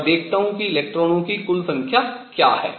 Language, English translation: Hindi, Let me now erase this and see what the total number of electrons is